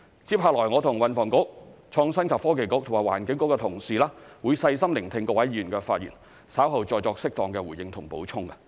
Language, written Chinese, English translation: Cantonese, 接下來我和運輸及房屋局、創新及科技局和環境局的同事會細心聆聽各位議員的發言，稍後再作適當的回應及補充。, Colleagues of the Transport and Housing Bureau the Innovation and Technology Bureau and the Environment Bureau and I will listen carefully to Members speeches and where appropriate give appropriate responses and provide additional information later